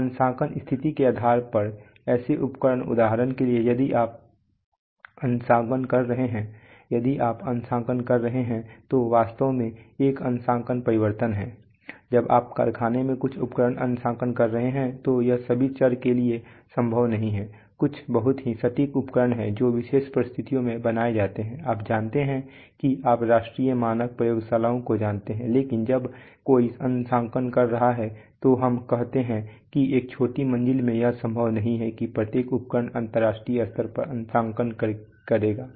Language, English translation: Hindi, So such instruments depending on the calibration situation for example if you are calibrating, if you are calibrating, there is a, there is actually a calibration change in the sense that, when you are calibrating some instrument in the factory it is not possible for all variables there are some very, very accurate instruments which are maintained in under special conditions in you know you know national standards laboratories but when somebody is calibrating let us say in a short floor it is not possible to possible that that every instrument will be calibrating international standard